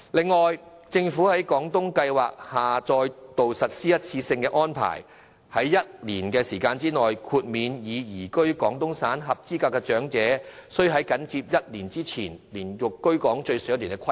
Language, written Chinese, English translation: Cantonese, 此外，政府在廣東計劃下再度實施一次性安排，在1年時間內，豁免已移居廣東省的合資格長者須在緊接申請日期前連續居港最少1年的規定。, Besides the Government is exempting once again on a one - off basis for a one - year period eligible elderly persons already residing in Guangdong from the requirement of having resided in Hong Kong continuously for at least one year immediately before the date of application under the Guangdong Scheme